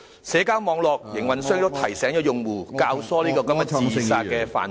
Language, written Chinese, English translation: Cantonese, 社交網絡營運商亦提醒用戶，教唆這個自殺犯罪......, Operators of social networks have also alerted their users of the crime of abetting suicide